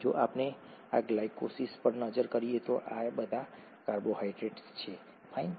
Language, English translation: Gujarati, If we look at this glycolysis, focus on glycolysis, all these are carbohydrates, fine